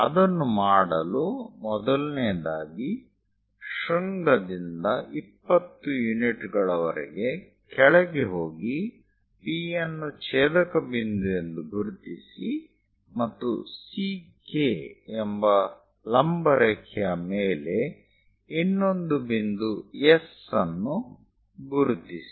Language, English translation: Kannada, To do that; first of all, from vertex go below by 20 units, locate the intersection point P and on the vertical line C to K, locate another point S